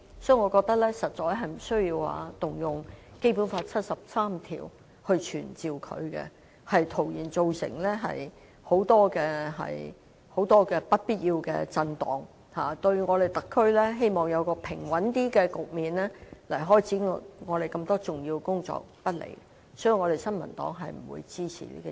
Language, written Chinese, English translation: Cantonese, 因此，我認為實在無需援引《基本法》第七十三條傳召她前來立法會，這只會造成很多不必要的震盪，並對特區期望有較平穩的局面開展多項重要工作不利，所以新民黨並不支持這項議案。, I therefore consider it unnecessary to invoke Article 73 of the Basic Law to summon her to attend before the Council as this will only cause many unnecessary repercussions which may not be conducive to providing a stable environment for taking forward those important tasks . Therefore the New Peoples Party does not support this motion